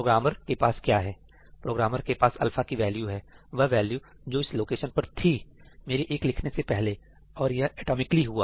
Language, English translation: Hindi, What does the programmer have the programmer has the value of alpha; the value that was there just before I wrote 1 to this location and this is done atomically